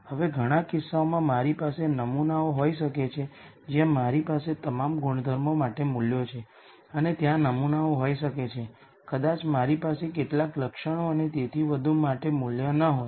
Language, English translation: Gujarati, Now, in many cases I might have samples where I have values for all the attributes and there might be samples there I might not have values for some the attributes and so on